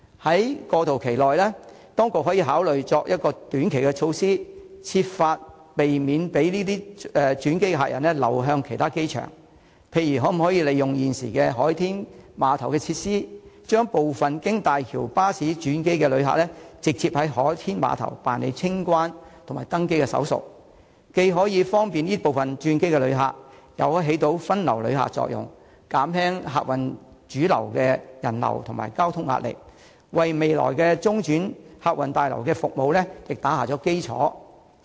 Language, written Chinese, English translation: Cantonese, 在過渡期內，當局可以考慮採取短期措施，設法避免轉機客人流向其他機場，例如可否利用現時海天碼頭的設施，將部分經大橋巴士轉機的旅客直接在海天碼頭辦理清關和登機手續，既可以方便這部分的轉機旅客，又可發揮分流旅客的作用，減輕客運主樓的人流和交通壓力，為未來的中轉客運大樓的服務打下基礎。, For example is it possible to make use of the existing facilities at the SkyPier to allow some transit passengers arriving by bus through HZMB to go through customs clearance and the check - in process at SkyPier direct? . This can provide convenience to these transit passengers while achieving diversion of visitors . This can ease the pressure of people flow and transport on the main passenger terminals thereby laying a foundation for the services of the transit terminal in future